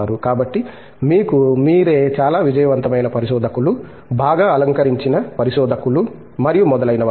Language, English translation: Telugu, So, of course, you are yourself a very successful researcher, very well decorated researcher and so on